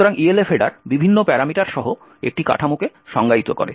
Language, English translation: Bengali, So, the Elf header defines a structure with various parameters